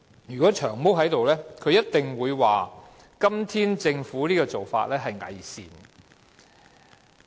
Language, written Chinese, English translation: Cantonese, 如果"長毛"在席，他一定會說政府今天的做法是偽善的。, If Long Hair were present he would definitely dismiss the Governments practice today as hypocritical